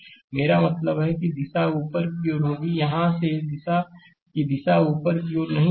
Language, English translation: Hindi, I mean direction will be upward not putting here this direction of this one will be upward